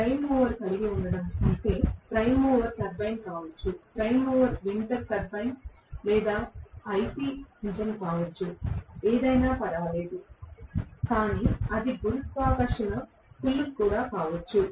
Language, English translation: Telugu, That is what I mean by having a prime mover, the prime mover can be a turbine, the prime mover can be a winter bine or IC engine or whatever does not matter, but it can also be gravitational pull